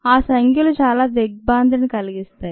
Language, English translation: Telugu, the numbers are quite staggering